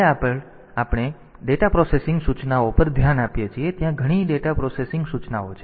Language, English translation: Gujarati, Next we look into data processing instructions there are several data processing instructions